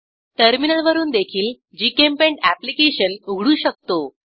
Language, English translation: Marathi, We can also open GChemPaint application from Terminal